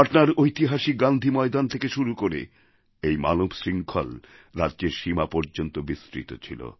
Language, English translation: Bengali, The human chain that commenced formation from Gandhi Maidan in Patna gained momentum, touching the state borders